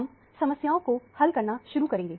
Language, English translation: Hindi, We will continue with the problem solving